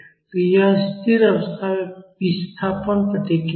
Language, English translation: Hindi, So, this is the displacement response at steady state